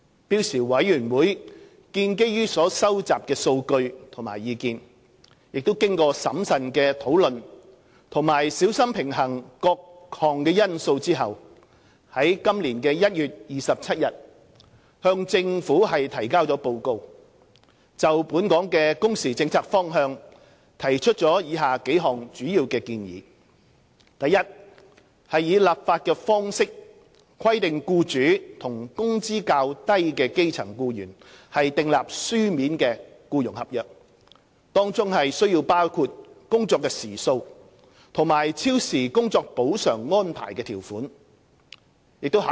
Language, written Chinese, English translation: Cantonese, 標時委員會建基於所收集的數據及意見，經審慎討論及小心平衡各因素後，於今年1月27日向政府提交報告，就本港工時政策方向提出以下數項主要建議： i 以立法方式規定僱主與工資較低的基層僱員訂立書面僱傭合約，當中須包括工作時數及超時工作補償安排的條款。, After careful deliberation and balancing different considerations in light of the data and views collected SWHC submitted its report to the Government on 27 January 2017 putting forth the following major recommendations on working hours policy direction for Hong Kong i to adopt a legislative approach to mandate employers to enter into written employment contracts with the lower - income grass - roots employees which shall include terms on working hours and overtime compensation arrangements